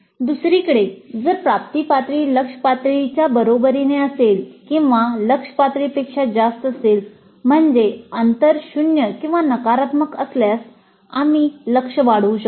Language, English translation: Marathi, On the other hand, if the attainment level is equal to the target level or is greater than the target level, that means if the gap is zero or negative, we could enhance the target